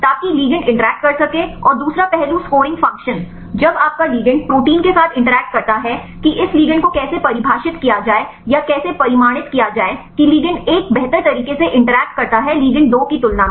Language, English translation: Hindi, So that the ligand can interact and the second aspect the scoring function, when your ligand interacts with the protein how to define or how to quantify this ligand one interacts better than ligand 2